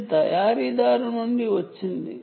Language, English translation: Telugu, this comes from the manufacturer